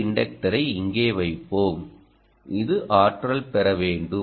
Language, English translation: Tamil, so let us put an inductor here which requires to be energized